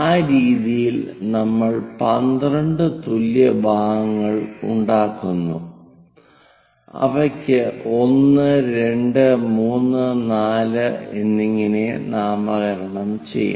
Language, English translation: Malayalam, In that way, we make 12 equal parts, and we will name them, 1 2 3 4 and so on all the way to